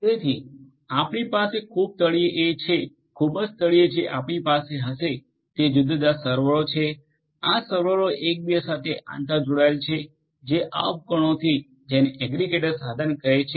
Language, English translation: Gujarati, So, what we are going to have at the very bottom at the very bottom what we are going to have are let us say different different servers right different servers, these servers will be interconnected with each other to these devices known as the aggregator device